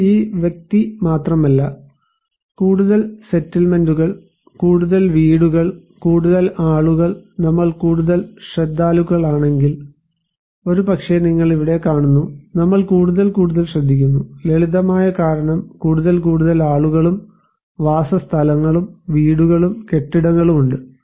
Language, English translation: Malayalam, So, it is not only this person but if we have more settlements, more houses, more people we care more right, maybe here you look, we care more and more because the simple reason is that more and more people and settlements, houses, buildings are there